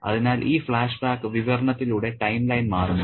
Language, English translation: Malayalam, So, the timeline shifts through this flashback narrative